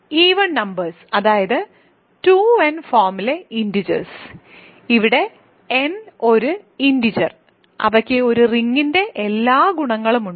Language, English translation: Malayalam, So, even integers; that means, integers of the form 2n, where n is an arbitrary integer, they do have all the properties of a ring